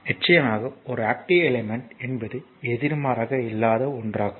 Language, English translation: Tamil, Of course, an active element is one that is not passive just opposite right